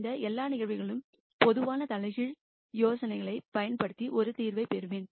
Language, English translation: Tamil, In all of these cases I will get a solution by using the idea of generalized inverse